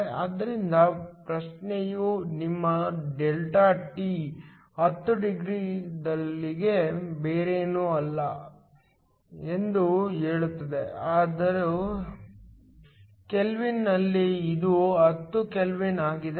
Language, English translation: Kannada, So, the question also says your Δt is nothing but 10 degrees, so in Kelvin, it is a same 10 Kelvin